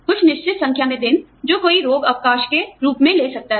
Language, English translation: Hindi, A certain number of days, that one can collect as sick leave